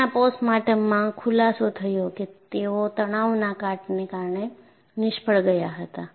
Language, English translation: Gujarati, The postmortem revealed, they failed due to stress corrosion cracking